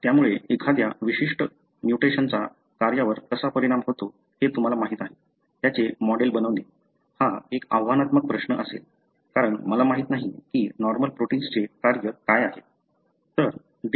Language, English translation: Marathi, Therefore, even to model them as to how a particular mutation, you know, affected the function, it is going to be challenging question, because I do not know what is the function of the normal protein